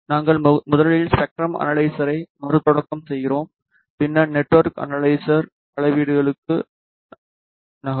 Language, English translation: Tamil, We restart the spectrum analyzer first and then will move to network analyzer measurements